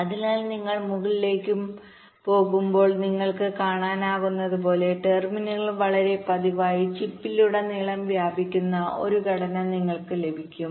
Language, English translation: Malayalam, so, as you can see, as you go up and up, you get a structure where the terminals are very regularly spread all across the chip